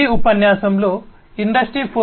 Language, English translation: Telugu, So, in Industry 4